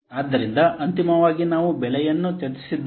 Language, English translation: Kannada, So, finally, we have discussed the price